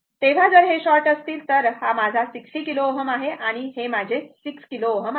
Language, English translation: Marathi, So, if this is sort, then this is my 60 kilo ohm and this is my 6 kilo ohm right